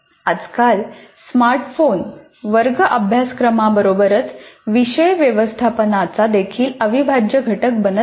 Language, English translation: Marathi, These days the smartphone also is becoming an integral part of classroom interaction as well as course management